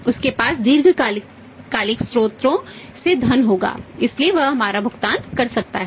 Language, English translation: Hindi, He will have the funds from the long term sources, so he can make our payment